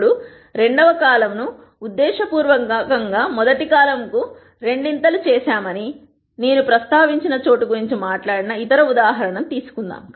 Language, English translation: Telugu, Now, let us take the other example that we talked about where I mentioned that we have deliberately made the second column twice the rst column